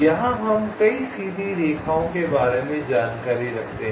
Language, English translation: Hindi, you have to maintain ah number of straight lines